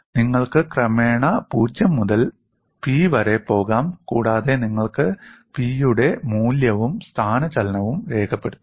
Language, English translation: Malayalam, You could go from 0 to P gradually, and you can record the value of P as well as the displacement